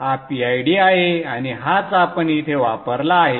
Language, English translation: Marathi, This is the PID and this is what we had we have used here